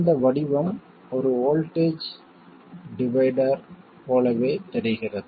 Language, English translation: Tamil, This form looks very similar to that of a voltage divider